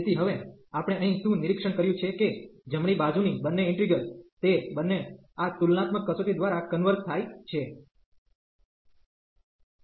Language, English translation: Gujarati, So, what we have observed now here that both the integrals on the right hand side, they both converges by this comparison test